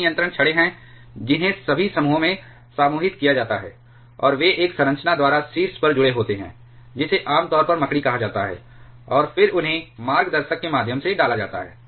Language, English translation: Hindi, There are several control rods they are all grouped into grouped into clusters, and they are connected at the top by a structure which is commonly called a spider, and then they are inserted through the guide channels